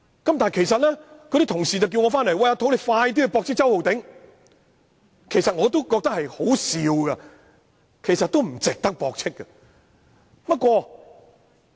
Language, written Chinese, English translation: Cantonese, 有同事催促我回來駁斥周浩鼎議員，我也覺得他所言甚為可笑，但亦不值得駁斥。, Some colleagues urged me to hasten back to refute Mr Holden CHOW and I also consider his speech ridiculous but again it is not worth refuting him